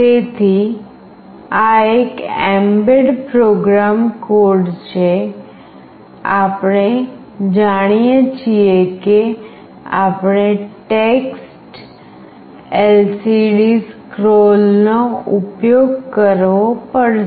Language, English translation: Gujarati, So, this is the mbed program code, we know that we have to use TextLCDScroll